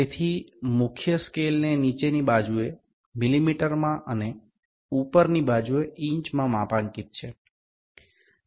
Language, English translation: Gujarati, So, the main scale is graduated in millimeters on the lower side and inches on the upper side